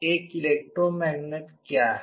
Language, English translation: Hindi, What is a electromagnet